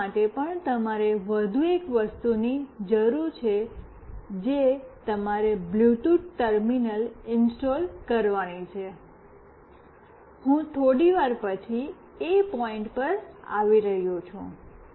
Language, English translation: Gujarati, For doing this also you need one more thing that you have to install a Bluetooth terminal, I am coming to that a little later